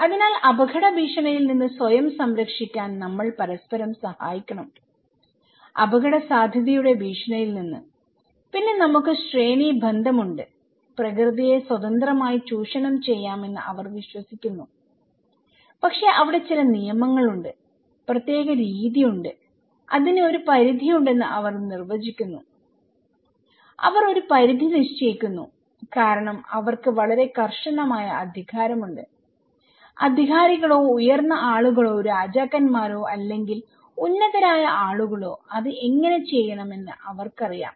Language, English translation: Malayalam, So, we have to help each other to protect as our self from the threat of hazard; from the threat of risk and then we have hierarchical okay, they believe that nature can be exploited freely but there is certain rules, particular way they define there is a limit of it, okay because this limit is put because they have a very strict authority so, the authorities or the higher people those who have or the Kings or the top people they know how to do it